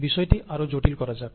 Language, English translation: Bengali, Let us complicate things even further